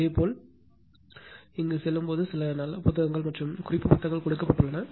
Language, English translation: Tamil, When you will go through this also consult there is some good books or reference books are given right